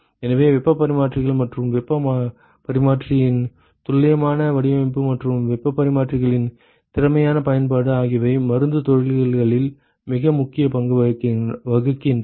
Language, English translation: Tamil, So, heat exchangers and precise design of heat exchangers and efficient use of heat exchangers plays a very important role in pharma industries